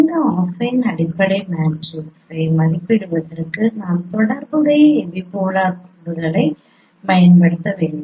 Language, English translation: Tamil, For estimating this affine fundamental matrix we have to use the corresponding epipolar lines